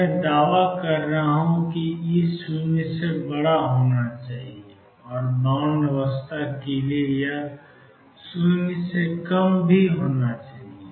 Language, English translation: Hindi, Now I am claiming that E should be greater than 0 and it is less than 0 for bound state